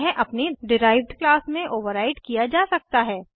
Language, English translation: Hindi, It can be overriden in its derived class